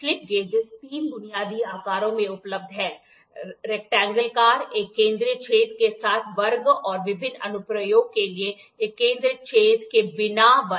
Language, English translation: Hindi, So, here also you will have grades and sizes the slip gauges are available in 3 basic shapes rectangle, square with a central hole and square without a central hole for various application